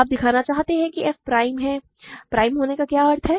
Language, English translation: Hindi, You want to show f is prime, what is the meaning of being prime